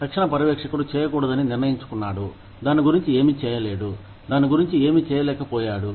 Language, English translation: Telugu, The immediate supervisor has decided, not to do, anything about it, or, has not been able to do, something about it